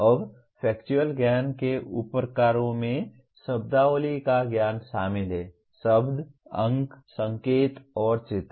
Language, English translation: Hindi, Now subtypes of factual knowledge include knowledge of terminology; words, numerals, signs, and pictures